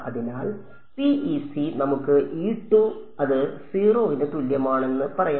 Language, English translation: Malayalam, So, for PEC we can say that E z is equal to 0